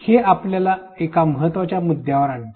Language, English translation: Marathi, This brings us to an important point